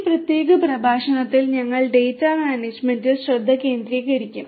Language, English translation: Malayalam, In this particular lecture we will focus on data management